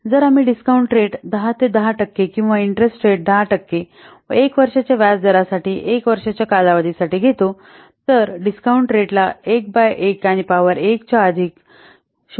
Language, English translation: Marathi, If you will take the discount rate as 10% or the interest rate at 10% and one year period for one year period, the discount factor is equal 1 by 1 plus this much 0